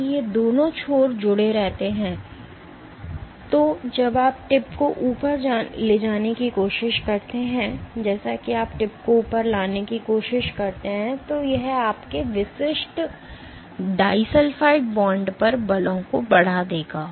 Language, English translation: Hindi, If both these ends remain attached, so when you try to bring the tip up as you try to bring the tip up, so it will exert forces on your individual disulfide bonds